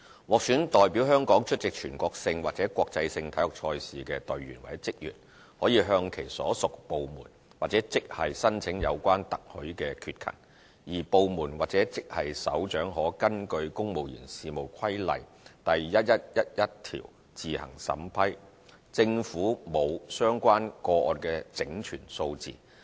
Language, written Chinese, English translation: Cantonese, 獲選代表香港出席全國性或國際性體育賽事的隊員或職員可向其所屬部門或職系申請有關特許缺勤，而部門或職系首長可根據《公務員事務規例》第1111條自行審批，政府沒有相關個案的整全數字。, Officers selected as a member or an official of a team representing Hong Kong in a national or international sporting event may apply to their individual departments or grades for such authorized absence; and a Head of Department or Head of Grade may process these cases by himself or herself under section 1111 of CSR . The Government does not collate statistics on these cases